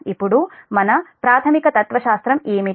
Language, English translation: Telugu, now what is our, what is the basic philosophy